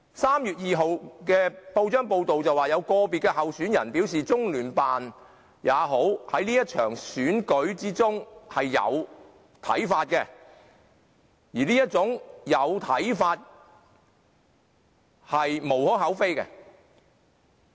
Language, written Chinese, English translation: Cantonese, 3月2日的報章報道，有個別候選人表示即使是中聯辦，在這場選舉中有看法亦無可厚非。, On 2 March it was reported in the press that a certain candidate said that there was nothing wrong for LOCPG officials to express views on this election